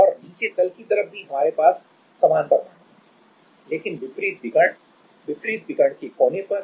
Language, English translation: Hindi, And at the bottom side also we will have similar atoms, but just at the opposite diagonal, the corner of the opposite diagonal right